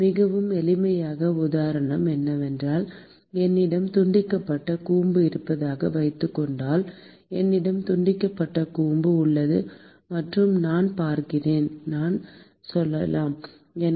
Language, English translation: Tamil, A very simple example would be that, supposing I have a truncated cone, I have a truncated cone and let us say I am looking at so, this is, let us say at